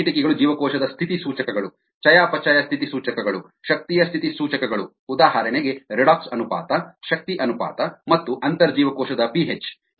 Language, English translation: Kannada, some windows are the cell status indicators, the metabolic status indicators, energy status indicators such as redox ratio, ah, the energy ratio and the ah intercellularp h